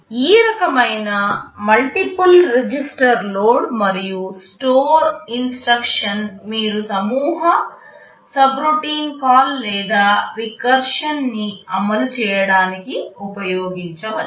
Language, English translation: Telugu, This kind of a multiple register load and store instruction you can use to implement nested subroutine call or even recursion